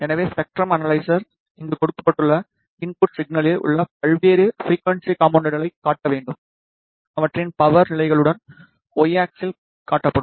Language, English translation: Tamil, So, the spectrum analyzer has to display various frequency components present in the input signal which is given over here, along with their power levels which is displayed on the Y axis